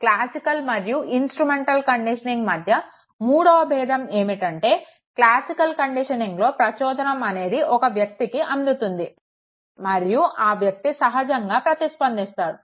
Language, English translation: Telugu, Third difference between classical and instrumental conditioning is that in the case of classical conditioning the stimuli act upon the individual and then the individual responds automatically